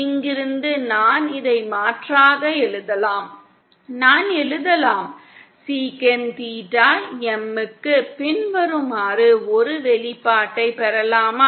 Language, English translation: Tamil, From here I can write substituting this here I can write, get an expression for sec theta M as follows